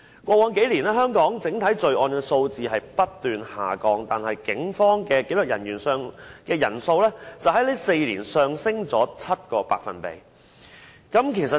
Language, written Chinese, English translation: Cantonese, 過去數年，香港整體罪案數字不斷下降，但警方的紀律人員人數在4年內上升了 7%。, Over the past few years the overall crime rate in Hong Kong has been decreasing whereas the number of disciplinary officers has risen 7 % within four years